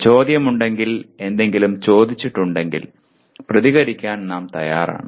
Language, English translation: Malayalam, If there is a question, if there is something that is asked, we are willing to respond